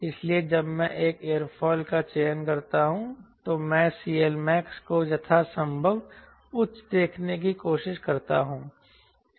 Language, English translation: Hindi, so when i select an aerofoil i try to see c l max to be as high as possible